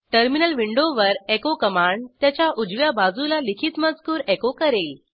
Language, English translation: Marathi, Echo command will echo the text written to its right side, on the terminal window